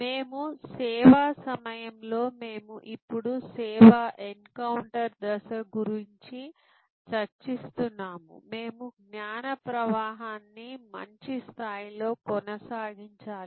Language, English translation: Telugu, And during the service, the stage that we are now discussing service encounter stage, we need to maintain a good level of knowledge flow